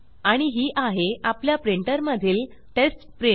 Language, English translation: Marathi, Here is our test print from our printer